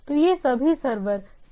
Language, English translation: Hindi, So, these are all server side error